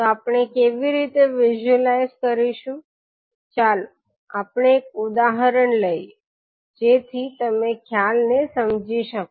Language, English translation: Gujarati, So how we will visualise, let us take an example so that you can understand the concept